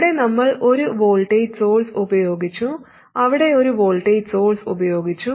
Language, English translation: Malayalam, Here we have used a voltage source here and a voltage source there